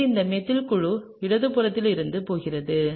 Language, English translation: Tamil, So, this methyl group is going to be on the left